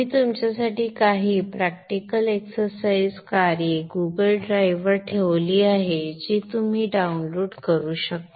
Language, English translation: Marathi, I have also put few practical exercise tasks for you on the Google Drive which you can download